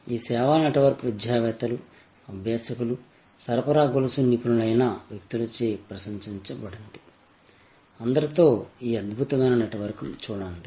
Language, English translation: Telugu, This service network is admired by academicians, by practitioners, the people who are supply chain experts; look at this wonderful network with all